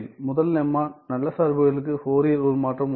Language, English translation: Tamil, There is first lemma Fourier transform of good functions exists